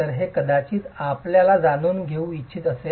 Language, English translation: Marathi, So, this is something you might want to know